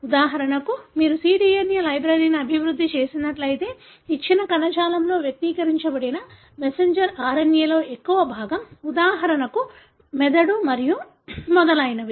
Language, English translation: Telugu, For example, majority of the messenger RNA that is expressed in a given tissue if you have developed a cDNA library, for example brain and so on